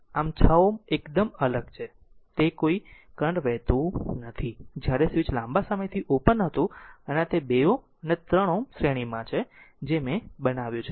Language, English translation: Gujarati, So, 6 ohm is totally isolated right it is it is no current is flowing here while switch was open for long time and this is 2 ohm 3 ohm are in series I made it for you